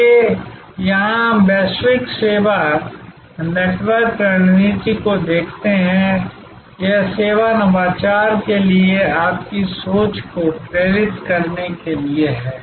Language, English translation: Hindi, So, here we look at the global service network strategy, this is to inspire your thinking for service innovation